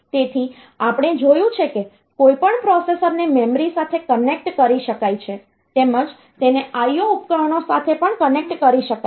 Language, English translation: Gujarati, So, we have seen that any processor can be connected to the memory as well as it can be connected to the IO devices